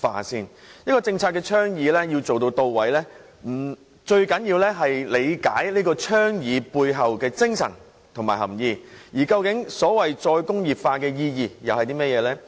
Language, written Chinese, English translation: Cantonese, 一個政策倡議要能做到位，最重要是理解倡議背後的精神及含意，而所謂"再工業化"的意義究竟是甚麼呢？, In advocating any policy the most important point is to understand the spirit and meaning of that policy advocacy . So what is the meaning of the so - called re - industrialization?